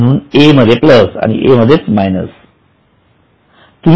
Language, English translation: Marathi, So, A is minus, L is also minus